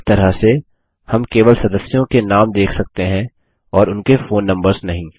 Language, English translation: Hindi, In this way, we can only see the names of the members and not their phone numbers